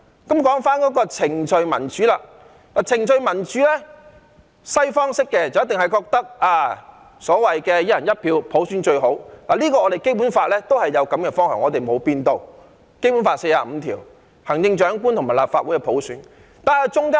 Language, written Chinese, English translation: Cantonese, 談到程序民主，西方式一定認為"一人一票"普選最好，而《基本法》亦表達了這個方向，沒有改變，《基本法》第四十五條訂明行政長官及立法會由普選產生的目標。, When it comes to procedural democracy universal suffrage on the basis of one person one vote is certainly regarded as the best in the Western style . The Basic Law has also expressed this direction there is no change . Article 45 of the Basic Law states the goal of electing the Chief Executive and the Legislative Council Members by universal suffrage